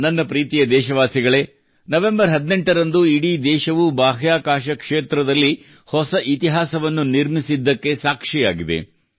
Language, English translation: Kannada, My dear countrymen, on the 18th of November, the whole country witnessed new history being made in the space sector